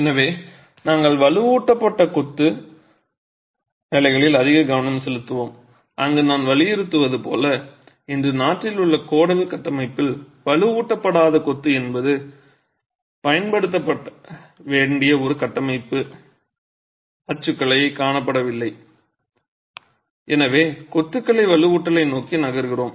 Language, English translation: Tamil, So, we will also be largely focusing on reinforced masonry where as I would emphasize in the Codal framework in the country today, unreinforced masonry is not seen as a structural typology that should be used and therefore we are moving towards having reinforcement in masonry